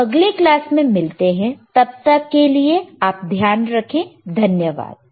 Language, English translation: Hindi, So, I will see in the next class till then you take care, bye